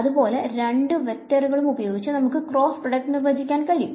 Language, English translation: Malayalam, So, similarly I can take these two vectors and take a cross product